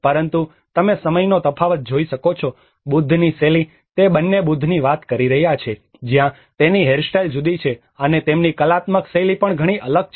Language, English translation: Gujarati, \ \ But you can see the time difference, the style of Buddha, both of them are talking about the Buddha\'eds where it is the hairstyle have been different, and their artistic style is also very different